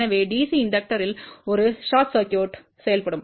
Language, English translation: Tamil, So, at DC inductor will act as a short circuit